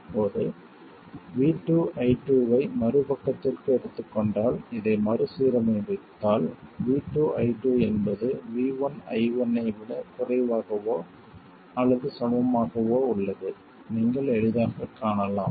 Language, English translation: Tamil, Now if you just rearrange this by taking V2i2 to the other side, you will easily see that minus V2 i2 is less than or equal to V1i1